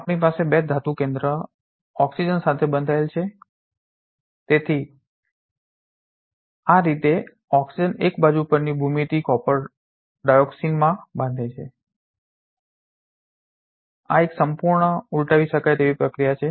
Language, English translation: Gujarati, We have these 2 copper center binding with the oxygen, so that is how the oxygen binds in an side on geometry copper dioxygen species this is a completely reversible process